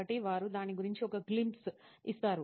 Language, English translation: Telugu, So they just give a glimpse of it